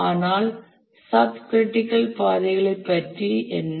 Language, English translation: Tamil, But what about subcritical paths